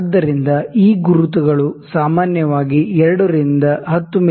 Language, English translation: Kannada, So, these markings are generally from 2 to 10 mm